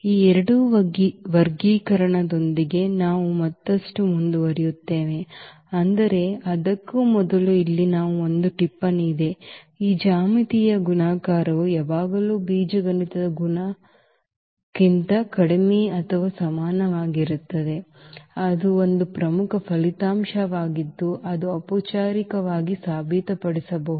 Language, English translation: Kannada, So, with these two classification we will move further, but before that there is a note here, that this geometric multiplicity is always less than or equal to the algebraic multiplicity, that is a important result which one can formally prove